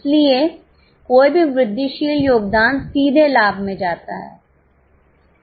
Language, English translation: Hindi, So, any incremental contribution directly goes to profit